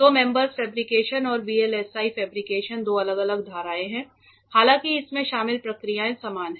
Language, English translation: Hindi, So, mems fabrication and VLSI fabrication are a two different separate streams though the processes involved are same